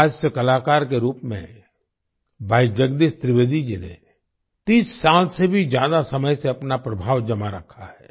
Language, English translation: Hindi, As a comedian, Bhai Jagdish Trivedi ji has maintained his influence for more than 30 years